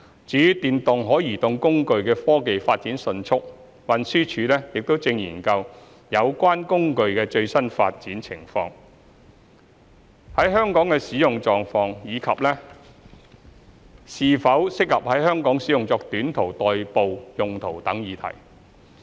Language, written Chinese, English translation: Cantonese, 由於電動可移動工具的科技發展迅速，運輸署亦正研究有關工具的最新發展情況、在香港的使用狀況，以及是否適合在香港使用作短途代步用途等議題。, In view of the rapid technological advancement of electric mobility devices TD is looking into issues concerning the latest development and the usage of electric mobility devices in Hong Kong as well as the suitability of their use in Hong Kong for short - distance commuting etc